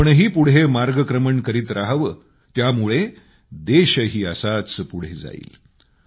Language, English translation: Marathi, You should move forward and thus should the country move ahead